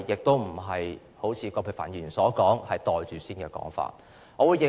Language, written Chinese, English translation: Cantonese, 對於葛珮帆議員所謂"袋住先"的說法，我並不認同。, I do not agree to Dr Elizabeth QUATs argument for pocketing first the Amendment Regulation so to speak